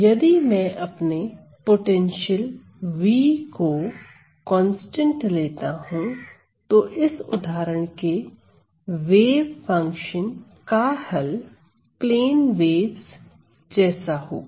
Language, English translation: Hindi, So, if my potential v is a constant, then I can find the solution of this example of this wave function of the type of plane waves